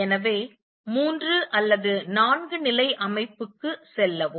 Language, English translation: Tamil, So, go to a three or four level system